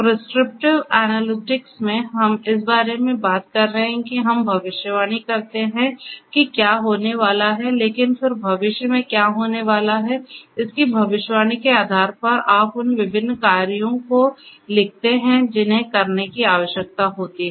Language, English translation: Hindi, In prescriptive analytics we are talking about that we predict that what is going to happen, but then based on that prediction of what is going to happen in the future, you prescribe the different you prescribe the different actions that needs to be taken